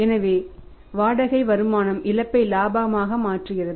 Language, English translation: Tamil, So, that rent income is converting the gross loss into profit